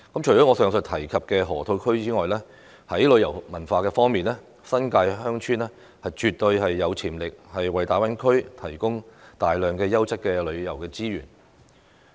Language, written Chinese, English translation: Cantonese, 除了我上述提及的河套區外，在旅遊和文化方面，新界鄉村絕對有潛力為大灣區提供大量優質的旅遊資源。, Aside from the Loop which I mentioned above villages in the New Territories in terms of tourism and culture definitely have the potential to provide the Greater Bay Area with abundant quality tourism resources